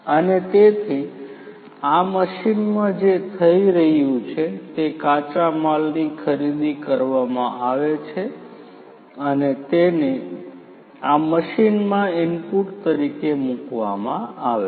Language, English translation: Gujarati, And so, in this machine what is happening is the raw materials are procured and they are put as input to this machine